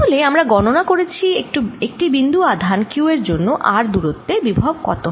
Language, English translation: Bengali, so we have calculated potential due to a point charge q at a distance r from it